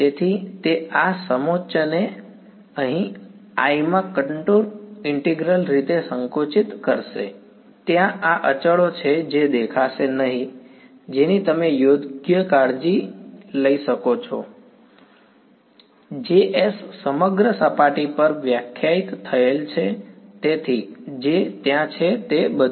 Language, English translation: Gujarati, So, that will collapse this contour integral over here in to I, there are this constants that will appear which you can take care right; jss defined over the entire surface so, all that is there